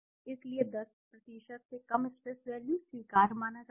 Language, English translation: Hindi, So stress values are less than 10% are considered acceptable